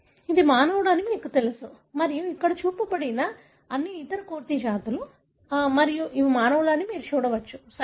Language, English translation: Telugu, You can see that this is the, you know human, and all other monkey species that are shown here and these are non human, right